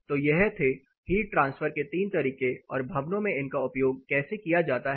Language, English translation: Hindi, So, three modes of heat transfer and how it is used in buildings